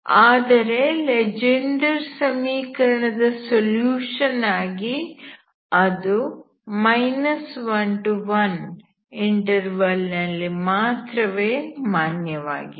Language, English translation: Kannada, As a solution of Legendre equation it is actually valid here, okay